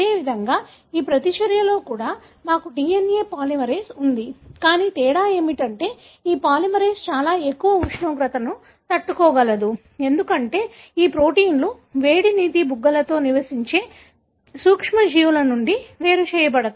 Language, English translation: Telugu, Likewise, also in this reaction, we had a DNA polymerase, but the difference is this polymerase can withstand very high temperature, because these proteins are isolated from microbes that are living in hot springs